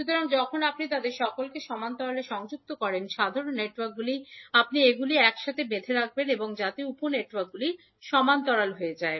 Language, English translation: Bengali, So when you connect all of them in parallel so the common networks you will tie them together so that the networks the sub networks will be in parallel